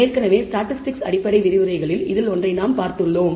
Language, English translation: Tamil, We have already seen one in the basic interactive lectures to statistics